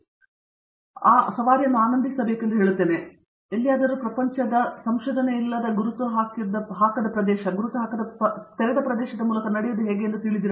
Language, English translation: Kannada, And I will say come enjoy the ride, you know to me the third party is to anybody anywhere in the world research is a walk through an uncharted territory, uncharted open area